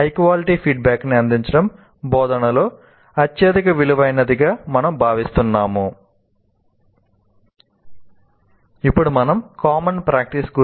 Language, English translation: Telugu, And that is where we consider providing high quality feedback is the highest priority in instruction